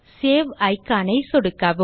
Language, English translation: Tamil, Click on Save icon